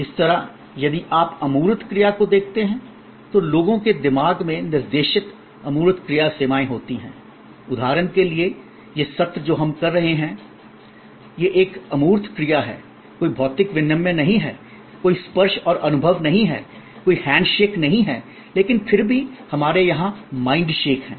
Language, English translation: Hindi, Similarly, if you look at intangible actions, intangible action services directed at the mind of people that is like for example, this session that we are having, it is an intangible action, there is no physical exchange, there is no touch and feel, there is no hand shake, but yet we have a mind shake here